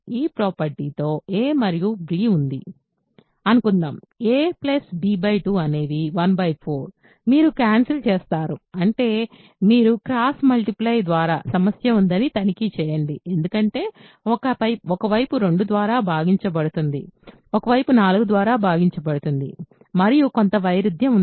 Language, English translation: Telugu, Suppose, there is a and b with this property a plus b by 2 is 1 by 4, you cancel, I mean you cross multiply and check that there is a problem because one side will be divisible by 2, one side will be divisible by 4 and there is some contradiction that you will get